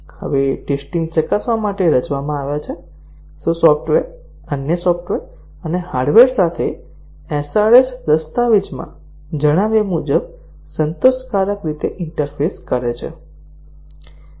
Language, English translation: Gujarati, Here the tests are designed to test, whether the software interfaces with other software and hardware as specified in the SRS document satisfactorily